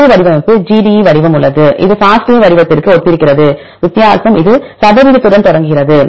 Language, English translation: Tamil, There is another format GDE format, this is also similar to the FASTA format and the difference is only this starts with percentage